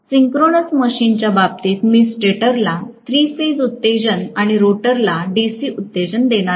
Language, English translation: Marathi, In the case of synchronous machine, I am going to give three phase excitation to the stator and DC excitation to the rotor